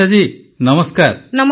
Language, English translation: Odia, Shirisha ji namastey